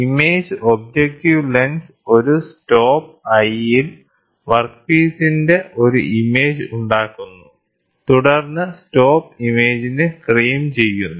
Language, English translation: Malayalam, So, the image objective lens forms an image of the workpiece at I 1 at a stop, then the stop frames the image